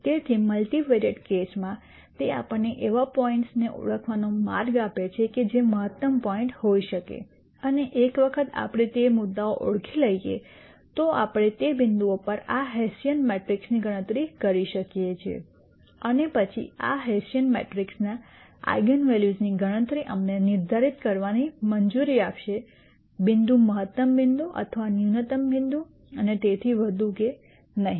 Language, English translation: Gujarati, So, in a multivariate case it gives us a way to identify points that could be optimum points and once we identify those points we can compute this hessian matrix at those points and then computation of the eigenvalues of this hessian matrix would allow us to determine whether the point is a maximum point or a minimum point and so on